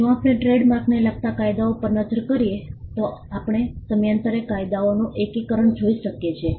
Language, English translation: Gujarati, If we look at the laws pertaining to trademarks, we can see a consolidation of laws happening over a period of time